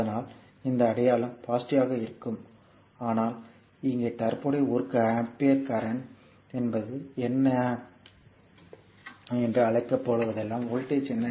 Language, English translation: Tamil, So; that means, this sign will be negative, but is current here is one ampere current here is your what you call 1 ampere now what is the voltage